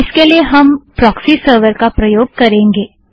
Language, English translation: Hindi, So we use a proxy server